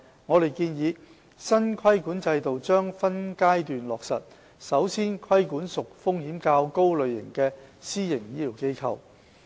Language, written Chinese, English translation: Cantonese, 我們建議，新規管制度將分階段落實，首先規管屬風險較高類型的私營醫療機構。, We propose that the regulatory regime will be commenced in phases with the regulatory regime of riskier types of PHFs put in force earlier